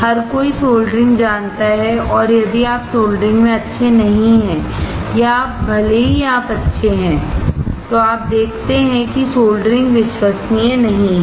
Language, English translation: Hindi, Everyone knows soldering and if you are not good in soldering or even if you are good, you see that the solder is not reliable